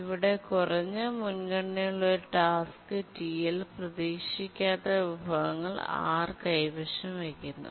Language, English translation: Malayalam, So, here a low priority task, TL, is holding a non preemptible resource R